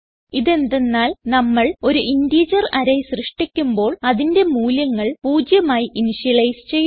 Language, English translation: Malayalam, This is because when we create an array of integers, all the values are initialized to 0